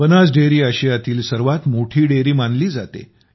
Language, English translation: Marathi, Banas Dairy is considered to be the biggest Dairy in Asia